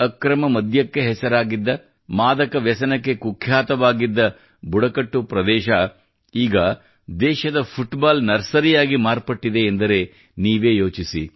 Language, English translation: Kannada, Just imagine a tribal area which was known for illicit liquor, infamous for drug addiction, has now become the Football Nursery of the country